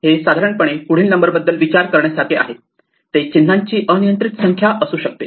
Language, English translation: Marathi, This is like thinking of it as a next number, but this could be in an arbitrary number of symbols